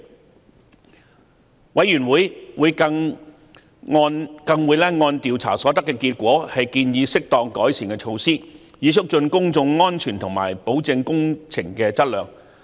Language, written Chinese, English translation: Cantonese, 調查委員會更會按調查所得結果建議適當的改善措施，以促進公眾安全和保證工程的質量。, Recommendations on the appropriate improvement measures will be made by the Commission of Inquiry in the light of its inquiry results with a view to promoting public safety and ensuring the quality of construction works